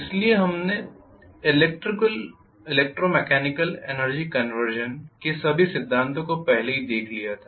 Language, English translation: Hindi, So we had seen already all the principles of electro mechanical energy conversion